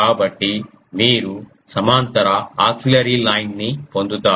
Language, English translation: Telugu, So, you get a the parallel auxiliary line ah yes